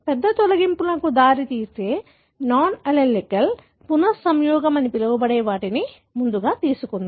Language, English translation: Telugu, Let us first take what is called as a non allelic recombination leading to large deletions